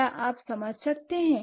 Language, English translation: Hindi, Could you understand